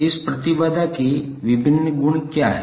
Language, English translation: Hindi, What are the various properties of this impedance